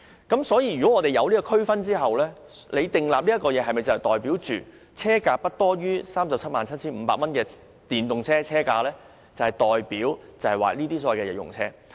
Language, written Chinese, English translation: Cantonese, 既然有上述區分，那麼政府所設定的寬減額是否代表電動車車價不高於 377,500 元便是所謂的日用電動車呢？, With this distinction am I right to say that EVs below 377,500 are regarded as EVs for daily uses as reflected by the concession amount set by the Government?